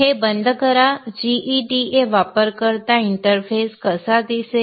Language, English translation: Marathi, This is how the GEDA user interface will look like